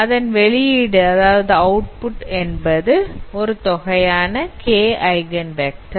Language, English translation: Tamil, And then the output should be a set of k eigenvectors